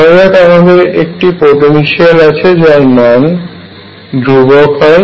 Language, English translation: Bengali, Suppose I have a potential which is constant